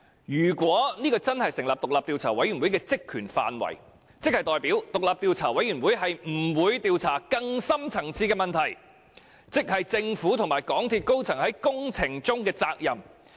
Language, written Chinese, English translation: Cantonese, 如果這真的成為獨立調查委員會的職權範圍，便代表獨立調查委員會不會調查更深層次的問題，即政府和港鐵公司高層在工程中的責任問題。, If these really become the terms of reference for the independent Commission of Inquiry it means that the Commission will not look into the deeper issue of accountability of the senior officers of the Government and MTRCL for the construction works